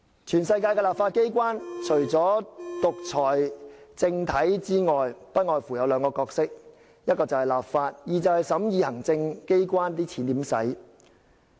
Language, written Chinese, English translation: Cantonese, 全世界的立法機關，除了獨裁政體外，不外乎只有兩個角色，一是立法，二是審議行政機關如何使用公帑。, All legislatures in the world other than authoritarian ones have to perform two roles first enact legislation and second examine how public funds are used by the executive authorities